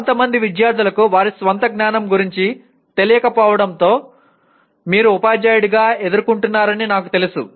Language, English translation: Telugu, And I am sure as a teacher you would have faced some students not being aware of their own level of knowledge